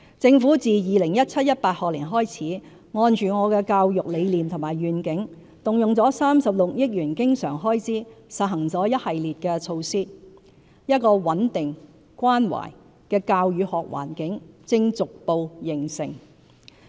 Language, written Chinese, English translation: Cantonese, 政府自 2017-2018 學年起，按着我的教育理念和願景，動用36億元經常開支實行了一系列措施，一個穩定、關懷的教與學環境正逐步形成。, Since the 2017 - 2018 school year the Government has expended a recurrent expenditure of 3.6 billion to implement a series of measures in accordance with my belief and vision of education thereby enabling a stable and caring teaching and learning environment to gradually take shape